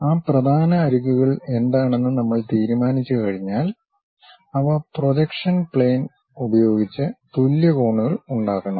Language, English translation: Malayalam, We once we decide what are those principal edges, they should make equal angles with the plane of projection